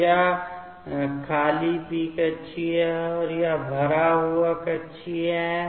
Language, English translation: Hindi, So, this is the empty p orbital, and this is the filled π orbital